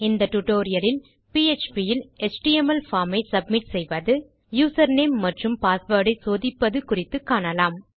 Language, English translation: Tamil, This tutorial will give a few aspects of php that will focus on how an html form can be submitted and how to check for user name and password